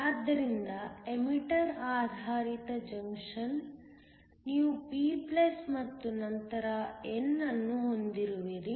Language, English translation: Kannada, So, The emitter based junction you have a p+and then n